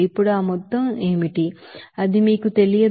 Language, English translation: Telugu, Now what will be that amount, that is not known to you